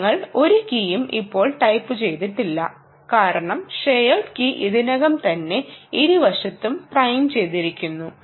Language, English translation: Malayalam, we did not type any key because the shared key is already primed on either side